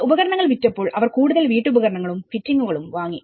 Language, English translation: Malayalam, So, once the tools have been sold, they even bought some more household furnishings and fittings